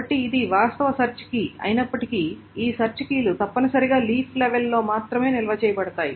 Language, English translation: Telugu, So even if it is an actual search key, the actual search keys must be stored only at the leaf level